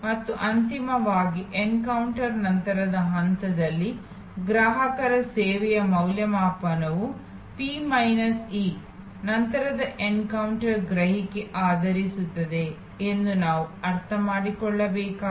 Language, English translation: Kannada, And finally, we have discussed today that in the post encounter stage, we have to understand that the customers evaluation of service will be based on P minus E post encounter perception with respect to pre encounter or in encounter expectation